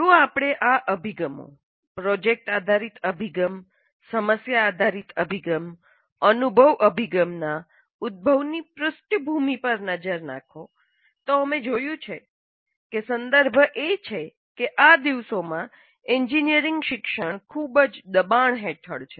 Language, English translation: Gujarati, If you look at the background for the emergence of these approaches, product based approach, problem based approach, experiential approach, we see that the context is that the engineering education is under severe pressure these days